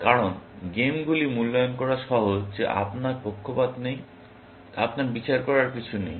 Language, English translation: Bengali, That is because games are easy to evaluate that you do not have bias; you do not have judgment